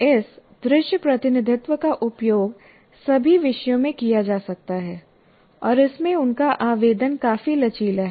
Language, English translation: Hindi, And these visual representations can be used in all disciplines and are quite flexible in their application